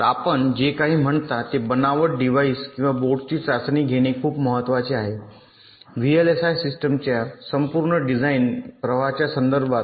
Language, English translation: Marathi, ok, so testing of a fabricated device or a board, whatever you say, is very important in the context of the overall design flow of a vlsi system